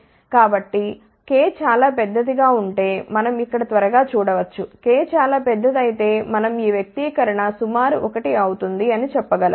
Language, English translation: Telugu, So, just quickly we can see over here if k is very large, we can say if k is very large this expression will become approximately 1